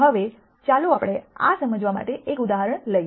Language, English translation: Gujarati, Now, let us take an example to understand this